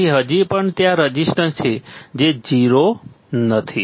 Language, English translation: Gujarati, So, still there is a resistance, it is not 0 right